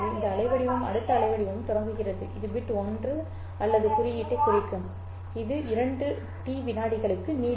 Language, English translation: Tamil, So where this bit ends, or this waveform ends, the next waveform starts which would represent bit 1 or symbol 1 and this will also last for a duration of 2 t seconds